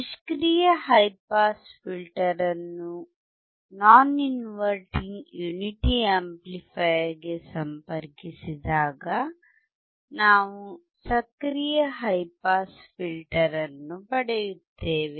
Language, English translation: Kannada, When we connect the passive high pass filter to the non inverting unity amplifier, then we get active high pass filter